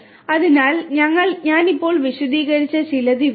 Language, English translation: Malayalam, So, these are some of the ones that I have just explained